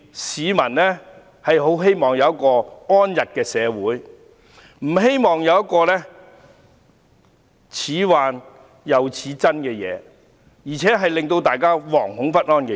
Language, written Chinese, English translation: Cantonese, 市民很希望有一個安逸的社會，不希望聽到難分真假，更令大家惶恐不安的信息。, Members of the public wish to have stability and harmony in society; they do not want to hear suspicious and frightening messages